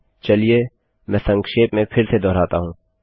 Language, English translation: Hindi, Let me recap